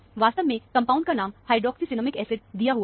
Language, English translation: Hindi, Actually, the compound name is given as hydroxycinnamic acid